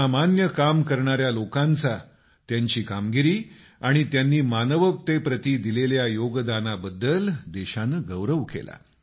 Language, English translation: Marathi, The nation honored people doing extraordinary work; for their achievements and contribution to humanity